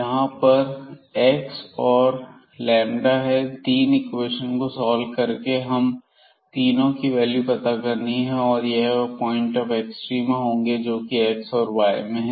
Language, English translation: Hindi, There are 3 points we have to we have to get by solving these 3 equations and that those points will be the points of extrema in terms of the x y